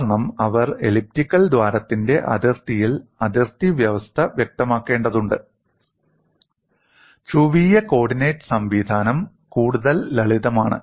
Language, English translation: Malayalam, They needed to develop elliptic coordinate system, because they have to specify the boundary condition on the boundary of the elliptical hole And polar coordinates system is lot more simpler